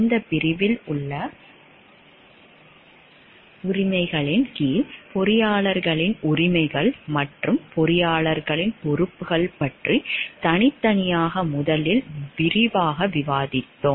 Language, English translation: Tamil, Under the rights in this section, we will discuss in details first about the rights of the engineers and the responsibilities of the engineers separately